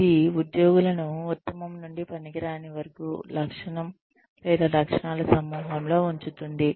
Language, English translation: Telugu, It ranks employees, from best to worst, on a trait, or group of traits